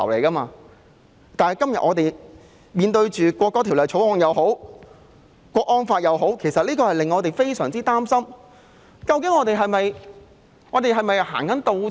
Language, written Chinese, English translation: Cantonese, 可是，今天我們面對《條例草案》和港區國安法，令我們非常擔心香港是否在開倒車。, However in the face of the Bill today and the Hong Kong national security law we are very worried that Hong Kong is backpedalling